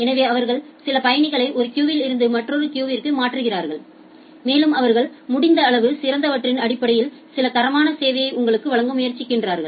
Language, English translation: Tamil, So, they shift certain passengers from one queue to another queue and they tries to provide you some level of quality of service based on the based on the best that they can do